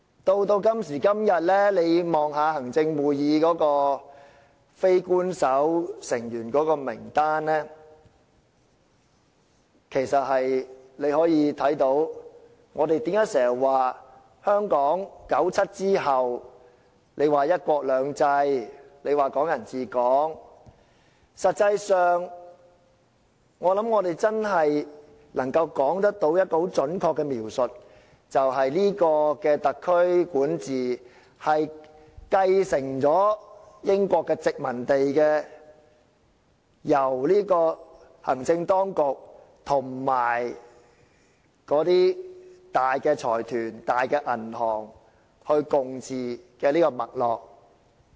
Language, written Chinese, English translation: Cantonese, 時至今時今日，大家可以看看行政會議的非官守成員名單，我們經常說香港在1997年後實行"一國兩制"及"港人治港"，但實際上，我相信我們如果真的要作出準確的描述，便只能說這個特區政府從英國殖民地承繼了由行政當局、大財團及銀行共同管治的這種脈絡。, Regarding the situation nowadays Members may take a look at the list of non - official Members of the Executive Council . While we say all the time that one country two systems and Hong Kong people ruling Hong Kong have been implemented in Hong Kong after 1997 if we really have to make an accurate description of the reality I think we can only say that this SAR Government has inherited from the British colony a system of joint governance by the executive authorities major consortiums and banks